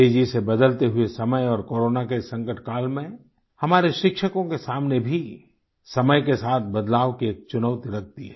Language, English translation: Hindi, The fast changing times coupled with the Corona crisis are posing new challenges for our teachers